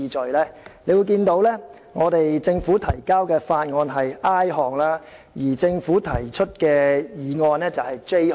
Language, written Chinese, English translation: Cantonese, 大家可以看到，政府提交的法案是 i 段，而政府提出的議案則為 j 段。, Members can see that Bills introduced by the Government and motions proposed by the Government are respectively placed in paragraphs i and j